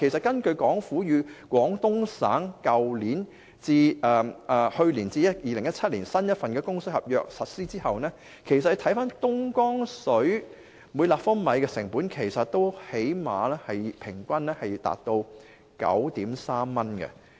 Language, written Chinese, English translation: Cantonese, 根據香港政府與廣東省簽訂去年至2017年的新供水合約實施後，每立方米東江水的平均成本其實最少也達 9.3 元。, According to the newly signed Water Supply Agreement for 2016 - 2017 between the Hong Kong Government and Guangdong Province the average cost for purchasing Dongjiang water is actually at least 9.3 per cubic metre